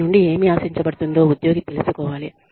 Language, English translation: Telugu, Employee should know, what is expected of them